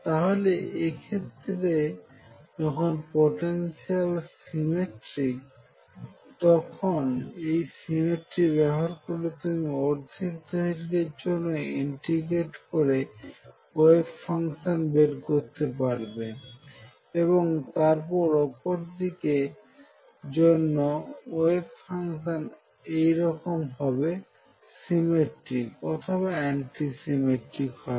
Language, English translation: Bengali, So, in the case where the potential is symmetric you can make use of this symmetry of the wave function to integrate only half way and then pick up your wave function and then the other side is exactly either symmetric or anti symmetric with respect to whatever you have found